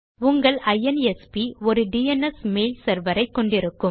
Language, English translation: Tamil, Your INSP will have a DNS mail server